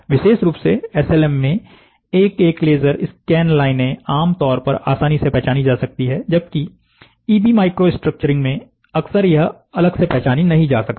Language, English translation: Hindi, In particular, SLM the individual laser scan lines are typically easily distinguishable whereas, in individual scan lines are often indistinguishable in EB micro structuring